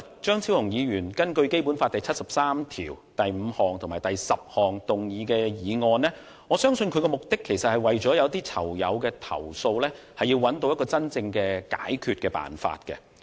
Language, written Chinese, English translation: Cantonese, 張超雄議員今天根據《基本法》第七十三條第五項及第十項動議議案，我相信他的目的是為了替某些囚友的投訴，尋找真正的解決辦法。, Today Dr Fernando CHEUNG has moved a motion under Articles 735 and 7310 of the Basic Law . I believe that he is looking for a genuine way out for the complaints from some persons in custody